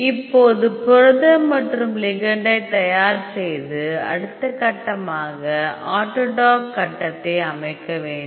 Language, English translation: Tamil, Now, we have prepared the protein on the ligand The next step you have to set the grid for the autodock